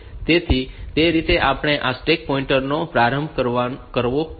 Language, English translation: Gujarati, So, that way we should initialize this stack pointer